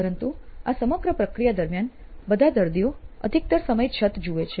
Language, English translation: Gujarati, But all the patient sees during the entire process most of the time is the roof